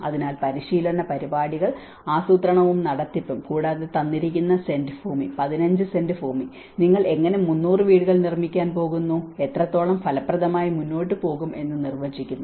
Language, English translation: Malayalam, So there is also training programs, the planning and management and also defining within the given cent of land, 15 cents of land, how you are going to build 300 housing, how effectively you are going to go